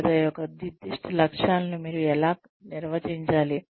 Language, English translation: Telugu, How do you define, the specific characteristics of measurement